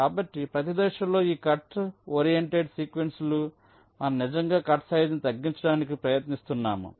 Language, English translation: Telugu, so so each of these cut oriented sequences, at every step, you are actually trying to minimize the cutsize